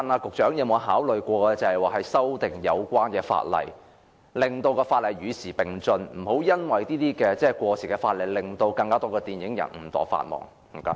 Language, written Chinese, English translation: Cantonese, 局長有否考慮修訂法例，使相關法例與時並進，以免過時法例令更多電影人誤墮法網？, Has the Secretary considered amending the law to make it keep pace with the times so as to avoid more filmmakers from breaching the law inadvertently due to the outdated legislation?